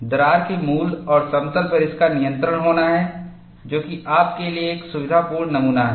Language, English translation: Hindi, It is to have control on the origin and the plane of the crack, for you to have a comfortable specimen